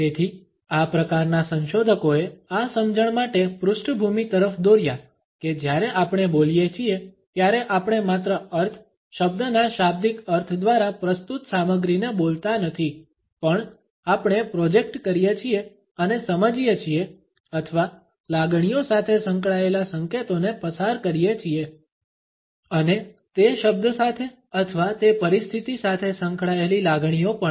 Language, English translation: Gujarati, So, these type of researchers led the background to this understanding that when we speak we do not only voice the content projected by the meaning, the lexical meaning of a word but we also project and understanding or we pass on signals related with the emotions and feelings associated with that word or with that situation